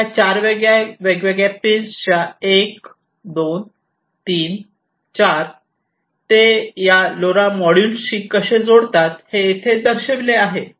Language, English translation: Marathi, So, these four different PIN’s 1 2 3 4 how they connect to this LoRa module is shown over here, right